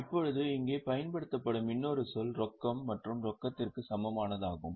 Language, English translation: Tamil, Now, other term here used is cash and cash equivalent